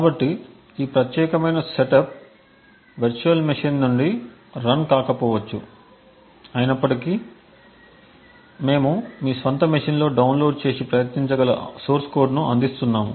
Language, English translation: Telugu, So, this particular setup may not be runnable from the virtual machine, although we will actually provide the source code that can be downloaded and tried on your own machines